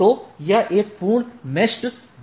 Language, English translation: Hindi, So, it is a full meshed BGP sessions